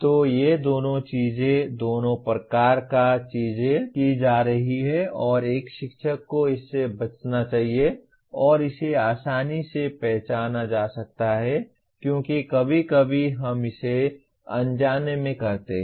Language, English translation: Hindi, So both these things, both the types of things are being done and a teacher should avoid this and that can be easily identified because sometimes we do it inadvertently